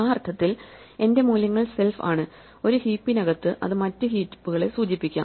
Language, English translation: Malayalam, In that sense, my values are denoted by self and inside a heap, it can may be refer to other heaps